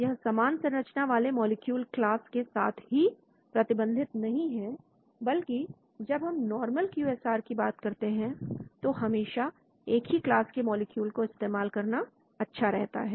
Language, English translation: Hindi, It is not restricted to molecules with the same structural class because when we talk about in the normal QSAR it is always good to use the same class